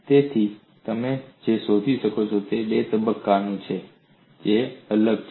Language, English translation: Gujarati, So, what you find is there are two quantities, which are different